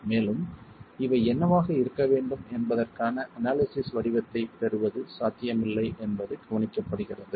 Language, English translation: Tamil, And it's observed that it is not possible to get an analytical form of what B should be